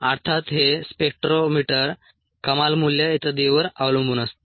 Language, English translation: Marathi, ah, of course this depends on the spectrometer ah, the maximum value and so on